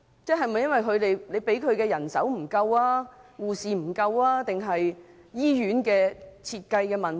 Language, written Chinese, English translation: Cantonese, 是否由於醫院獲編配的人手不足，或是醫院在設計上有問題？, Is this because the hospital is not allocated sufficient manpower? . Or is this because there are some problems with the design of the hospital?